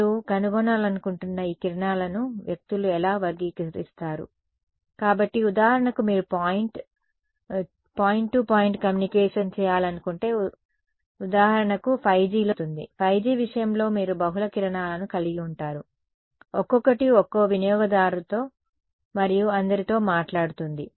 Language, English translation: Telugu, How do people characterize these beams you want to find out; so, for example, if you wanted to do point to point communication which for example, in 5G will happen; in the case of 5G you will have multiple beams each one talking to one user and all